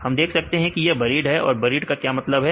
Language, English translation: Hindi, We can see its buried what is a meaning of buried